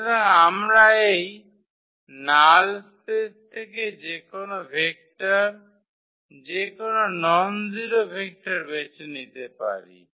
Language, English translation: Bengali, So, we can pick any vector, any nonzero vector from this null space